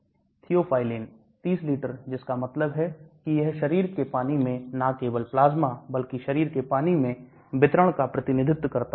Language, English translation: Hindi, Theophylline 30 liters that means it represents distribution in total body water not only plasma, but also the body water